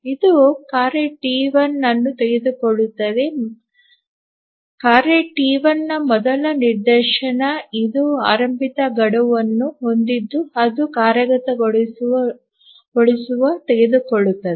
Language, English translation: Kannada, So, it will take the task T1, the first instance of task T1 which has the earliest deadline it will take that up for execution